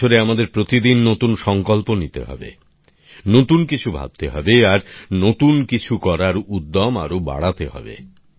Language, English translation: Bengali, This year we have to make new resolutions every day, think new, and bolster our spirit to do something new